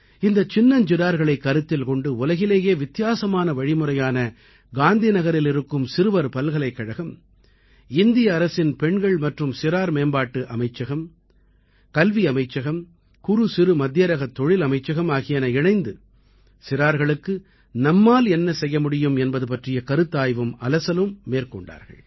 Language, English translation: Tamil, And this is why, I, together with the Children University of Gandhinagar, a unique experiment in the world, Indian government's Ministry of Women and Child Development, Ministry of Education, Ministry of MicroSmall and Medium Enterprises, pondered and deliberated over, what we can do for our children